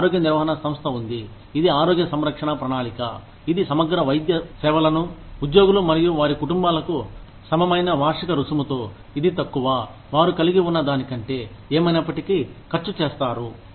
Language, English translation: Telugu, We have health maintenance organization, which is the health care plan, that provides comprehensive medical services, for employees and their families, at a flat annual fee, which is lower than, what they would have, anyway spent